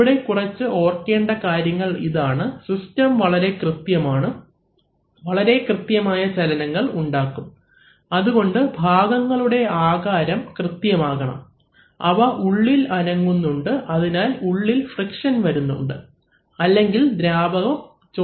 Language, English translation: Malayalam, Now these, the certain things to remember that these are, these systems are of very precise, create very precise motion and therefore requires parts of very precise sizes which move within one another, so there is an amount of friction involved otherwise the fluid is going to leak out, right